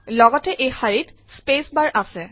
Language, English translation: Assamese, It also contains the space bar